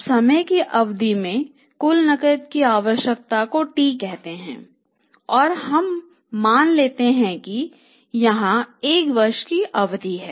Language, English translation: Hindi, Then T is the total requirement of the cash over a period of time and we assume here the period of one year